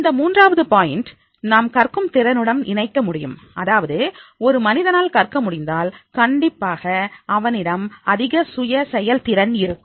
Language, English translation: Tamil, This third point we can connect with the ability to learn that is in case of the person is able to learn, definitely he will have the high self afficacy